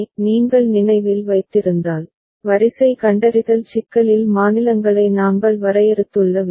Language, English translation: Tamil, If you remember, the way we have defined the states in the sequence detection problem